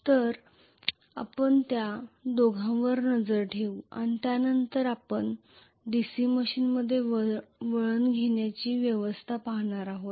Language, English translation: Marathi, So we will look at both of them after which we will be looking at specifically winding arrangement in a DC machine